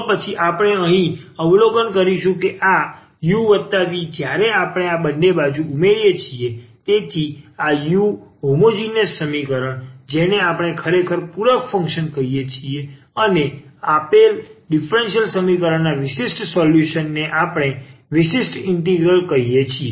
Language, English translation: Gujarati, Then what we will observe here that this u plus v when we add these two, so this u the for the homogeneous equation which we call actually the complimentary function and a particular solution of the given differential equation we call the particular integral